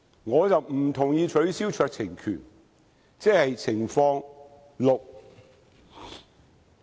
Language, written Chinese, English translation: Cantonese, 我不同意取消酌情權，即是情況六。, I do not support the removal of the discretion which is Scenario Six